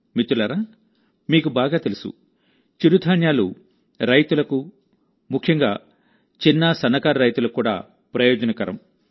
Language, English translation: Telugu, And friends, you know very well, millets are also beneficial for the farmers and especially the small farmers